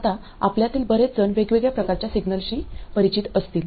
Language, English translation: Marathi, Now, many of you may be familiar with different types of signals